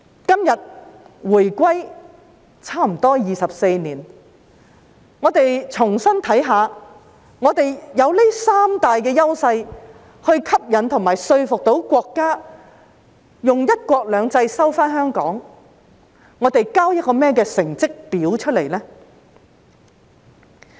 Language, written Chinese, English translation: Cantonese, 今天回歸差不多24年，讓我們重新審視：我們有這三大優勢吸引和說服到國家用"一國兩制"收回香港，但我們交了甚麼成績表出來呢？, Today almost 24 years into the reunification let us take a fresh look at the past . We had these three advantages to attract and convince the State to take back Hong Kong by means of one country two systems but what sort of a report card have we delivered? . As the saying goes there are no effects without causes